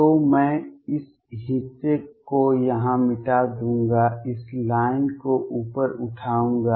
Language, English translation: Hindi, So, I will erase this portion here, raised this line up